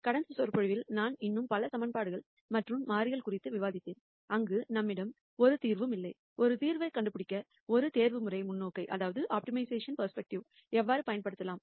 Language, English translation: Tamil, In the last lecture I discussed the case of many more equations and variables, where we might not have a solution and how we can use an optimization perspective to find a solution